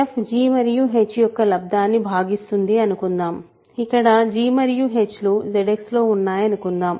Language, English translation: Telugu, So, suppose f divides g h where g and h are in Z X